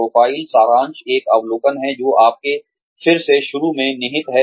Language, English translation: Hindi, Profile summary is an overview of, what is contained in your resume